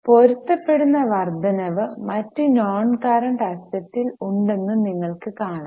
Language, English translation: Malayalam, You can see there is a matching rise in other non current asset